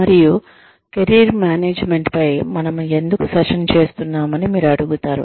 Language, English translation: Telugu, And, you will say, why are we having a session on Career Management